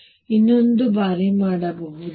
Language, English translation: Kannada, Now, I can do it one more time